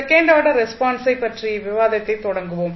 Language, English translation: Tamil, So, let us start the discussion about the second order response